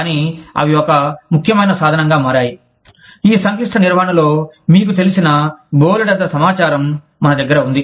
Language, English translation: Telugu, But, they have become an essential tool, in managing these complex, you know, volumes of information, that we have